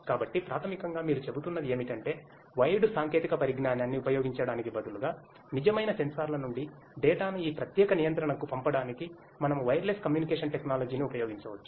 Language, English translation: Telugu, So, basically what you are saying is that instead of using the wired technology, we could use wireless communication technology in order to send the data from the real sensors to this particular controller